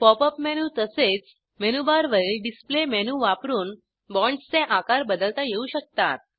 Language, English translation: Marathi, The size of the bonds can be changed using Pop up menu, as well as Display menu on the menu bar